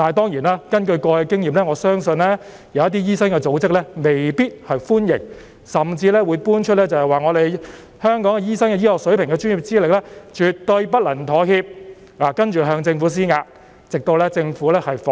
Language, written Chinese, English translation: Cantonese, 然而，根據過往的經驗，我相信某些醫生組織未必會歡迎，甚至會搬出"香港醫生的醫學水平和專業資歷絕對不能妥協"的理由，然後向政府施壓，直到政府放棄。, However based on past experience I believe that certain doctor associations may not welcome this arrangement . They may even cite the reason that the medical standard and professional qualifications of doctors in Hong Kong should never be compromised and then exert pressure on the Government until it gives up